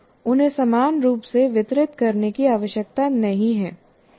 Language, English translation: Hindi, Or they need not be evenly distributed